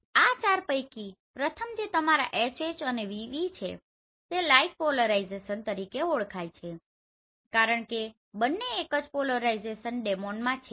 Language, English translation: Gujarati, Among these four the first two which is actually your HH and VV they are known as like polarization because both are in same polarization domain